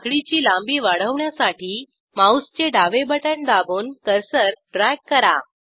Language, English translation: Marathi, To increase the chain length, hold the left mouse button and drag the cursor